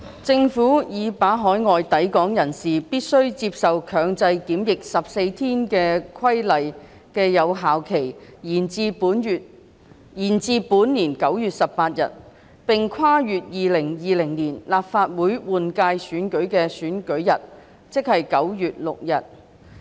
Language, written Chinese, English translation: Cantonese, 政府已把海外抵港人士必須接受強制檢疫14天的規例的有效期延至本年9月18日，並跨越2020年立法會換屆選舉的選舉日。, Regarding the Regulation under which persons arriving at Hong Kong from overseas shall be subject to 14 - day compulsory quarantine the Government has extended its expiry date to 18 September this year straddling the polling date set for the 2020 Legislative Council General Election